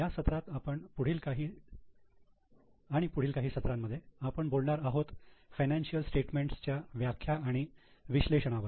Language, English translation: Marathi, In this and the next few sessions we will discuss about interpretation and analysis of the statements